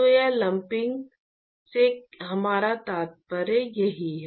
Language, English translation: Hindi, So, that is what we mean by lumping here